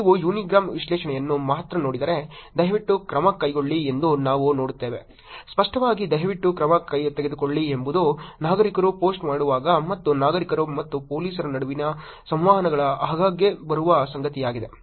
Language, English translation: Kannada, If you look at only the unigram analysis, we see that please take action, very evidently, please take the action seems to be the most frequent thing which will come when citizens post and the interactions between citizens and police